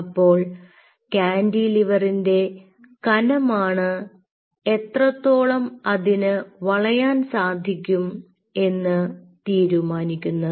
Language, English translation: Malayalam, now, thickness of the cantilever decides how much flexing it will show